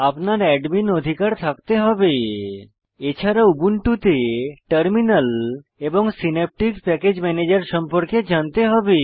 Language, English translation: Bengali, And you must also have knowledge of using Terminal and Synaptic Package Manager in Ubuntu